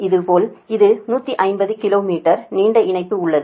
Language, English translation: Tamil, similarly it is one fifty kilo meters line long line